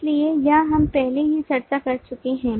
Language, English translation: Hindi, so this example we have already seen